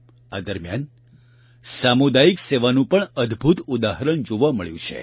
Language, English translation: Gujarati, During this period, wonderful examples of community service have also been observed